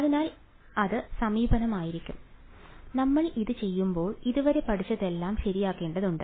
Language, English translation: Malayalam, So, that is going to be the approach and we will now when we do this, we will have to apply everything that we have learned so far ok